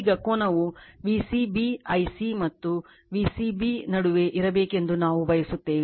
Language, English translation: Kannada, Now, you we want the angle should be in between V c b I c and V c b